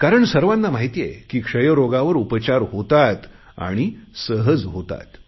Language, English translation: Marathi, But now we are not scared of it because everybody knows TB is curable and can be easily cured